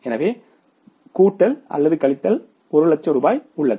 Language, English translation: Tamil, So there is a plus minus 1 lakh rupees